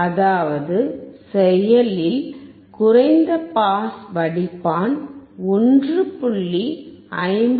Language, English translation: Tamil, Here we see the active low pass filter